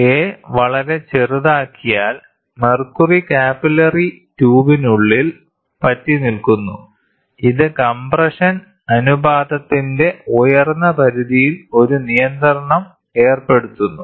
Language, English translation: Malayalam, If a is made too small, the mercury tends to stick inside the capillary tube; this imposes a restriction on the upper limit of the compression ratio